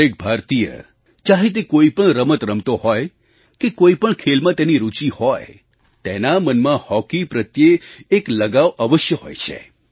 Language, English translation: Gujarati, Each Indian who plays any game or has interest in any game has a definite interest in Hockey